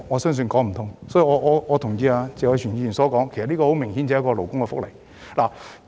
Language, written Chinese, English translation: Cantonese, 因此，我同意謝偉銓議員的說法，這明顯是勞工福利問題。, Therefore I agree with Mr Tony TSE that this is obviously a labour welfare issue